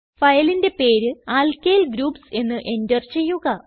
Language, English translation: Malayalam, Enter the file name as Alkyl Groups